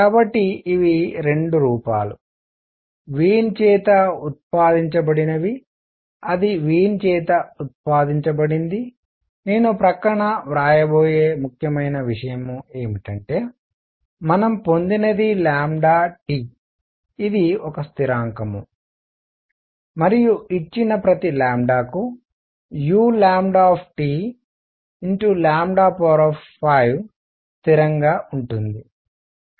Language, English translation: Telugu, So, these are 2 forms that have been derived by Wien that were derived by Wien, important thing that I am going to write on the side is our; what we have obtained is lambda T is a constant and u lambda T times lambda raise to 5 is a constant for each given lambda